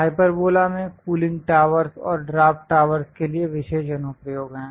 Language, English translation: Hindi, Hyperbola has special applications for cooling towers and draft towers